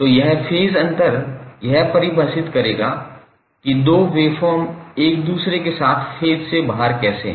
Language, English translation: Hindi, So this phase difference will define that how two waveforms are out of phase with each other